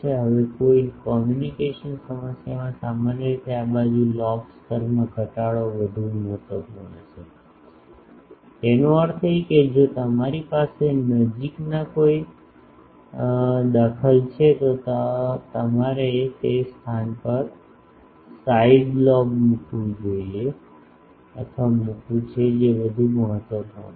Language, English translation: Gujarati, Now, in a communication problem generally this side lobe level reduction is more important; that means, if you have an interferer nearby then you want to put a side lobe to that place that is more important